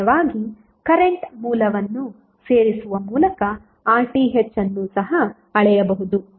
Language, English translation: Kannada, Alternatively the RTh can also be measured by inserting a current source